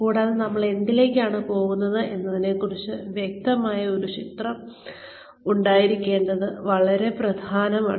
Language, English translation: Malayalam, And, it is very important to have, a clear picture regarding, what we are heading towards